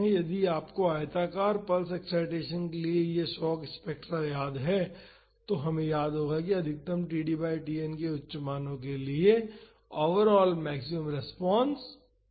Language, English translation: Hindi, If, you remember this shock spectrum for the rectangular pulse excitation, we would remember that the maximum; the overall maximum response was two for higher values of td by Tn